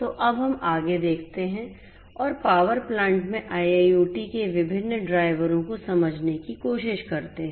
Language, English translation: Hindi, So, let us now look at further and try to understand the different drivers of IIoT in the power plant